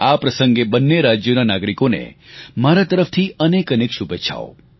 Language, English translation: Gujarati, On this occasion, many felicitations to the citizens of these two states on my behalf